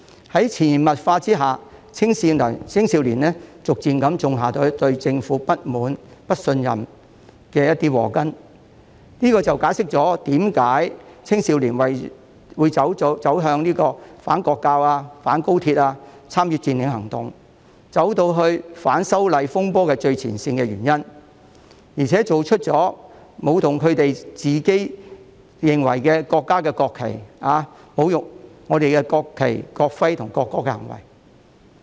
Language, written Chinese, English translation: Cantonese, 在潛移默化之下，逐漸種下了青少年對政府不滿、不信任的禍根，這便解釋了為何青少年會參與反國教、反高鐵和佔領行動，以及在反修例風波中走在最前線，並且作出舞動他們認為自己所屬國家的國旗，以及侮辱中國國旗、國徽和國歌的行為。, Under such subtle influence the seed of dissatisfaction with and distrust in the Government has gradually been sowed among the youth . This explains why young people participated in the anti - national education movement the anti - express rail link movement and the occupying movement and why they stood in the front line amidst the disturbances arising from the opposition to the proposed legislative amendments during which they waved the national flag of the country they thought they belonged to and committed acts of insulting the national flag the national emblem and the national anthem of China